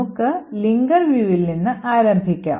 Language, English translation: Malayalam, So, let us start with the linker view